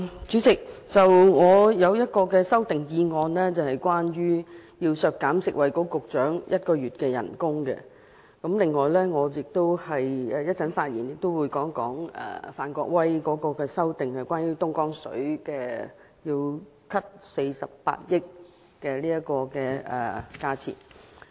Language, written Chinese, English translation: Cantonese, 主席，我提出的一項修正案是要削減食物及衞生局局長1個月薪酬開支，另一方面，我稍後也會談談范國威議員提出削減48億元，相當於購買東江水預算開支的修正案。, Chairman I am going to propose an amendment to deduct one month salary of the Secretary for Food and Health . On the other hand I will also discuss later the amendment proposed by Mr Gary FAN to reduce 4.8 billion which is equivalent to the estimated expenditure on the purchase of Dongjiang water